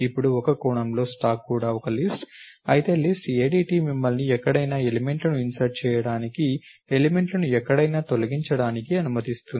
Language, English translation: Telugu, Now, in a sense the stack is also a list, while a list ADT allows you to insert elements anywhere, delete elements anywhere